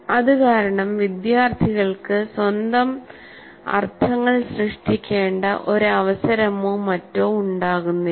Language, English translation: Malayalam, So, because of that, the students do not get a chance or need to create their own meanings